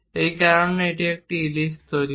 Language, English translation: Bengali, Why it is ellipse